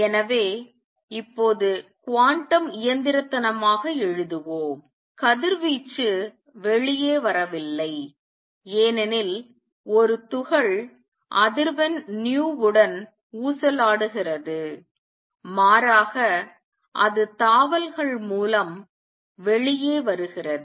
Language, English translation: Tamil, So, let us now write quantum mechanically; radiation does not come out because a particle is oscillating with frequency nu rather it comes out by jumps